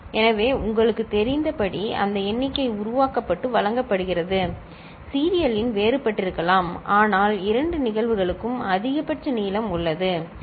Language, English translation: Tamil, So, that number getting generated and fed as you know, serial in could be different, but maximum length is there for both the cases, ok